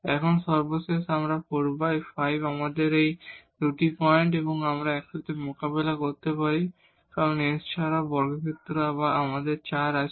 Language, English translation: Bengali, Now, the last here the 4 5 we have plus 1 and 0 and minus 1 0 these 2 points again we can deal together because the x also appears in the power either square or we have the 4